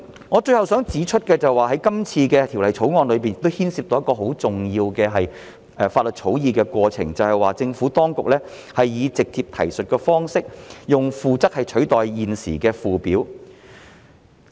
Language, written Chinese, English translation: Cantonese, 我最後想指出的是，《條例草案》亦牽涉到一個很重要的法律草擬過程，就是政府當局以直接提述的方式，用附則取代現時的附表。, Lastly I would like to point out that the Bill also involves a very important law drafting process in which the Administration has adopted a direct reference approach to replace the current Schedule with the Annex